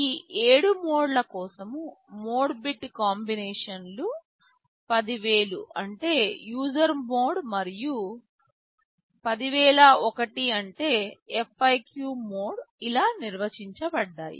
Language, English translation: Telugu, For these 7 modes, the mode bit combinations are defined like this 10000 the means user mode, 10001 is FIQ mode, and so on